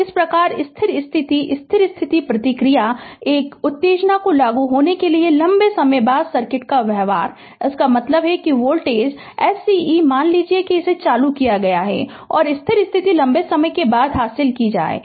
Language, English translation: Hindi, Thus, the steady state steady state response is the behavior of the circuit a long time after an excitation is applied, that means you that your voltage source suppose it is switched on, and and your steady state will achieved after long time right